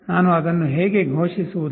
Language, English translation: Kannada, How do I declare that